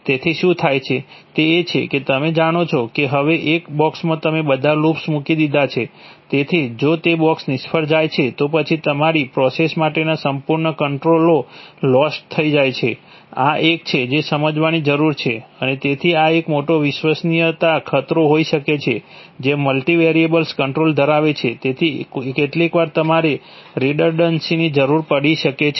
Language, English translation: Gujarati, So what happens is that, that is, you know, you know, you have put, you have put all the loops, now into one box, so if that box fails then the complete controls for your process is lost, this is a this is, this needs to be understood and so this could be a major reliability threat, having a multivariable controller, so sometimes you need redundancies